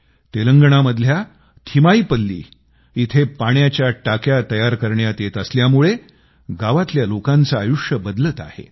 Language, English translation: Marathi, The construction of the watertank in Telangana'sThimmaipalli is changing the lives of the people of the village